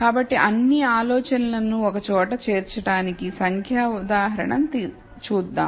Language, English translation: Telugu, So, let us look at a numerical example to bring all the ideas together